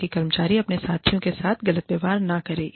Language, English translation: Hindi, So, that the employee is not treated unfairly, by his or her peers